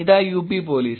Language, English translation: Malayalam, Here is UP Police